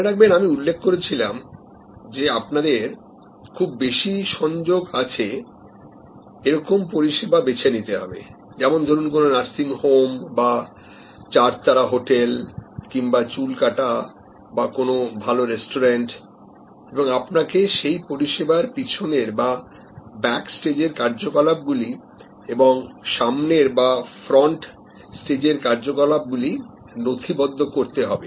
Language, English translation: Bengali, Remember, I had mentioned that you have to choose one of these high contact services, like a nursing home or like a four star hotel or like a haircut or a good restaurant and you are suppose to map the back stage activities as well as the front stage activities of this high contact service